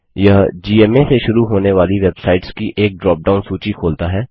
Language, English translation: Hindi, It brings up a drop down list with websites that start with gma